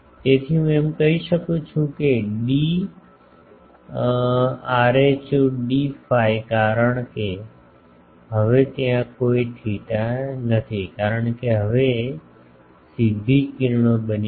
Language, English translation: Gujarati, So, can I say that d rho d phi that will tell me a because, now no more theta is there because this has now become a straight rays